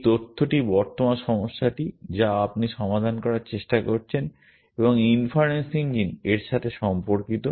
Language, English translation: Bengali, This data pertains to the current problem that you are trying to solve and inference engine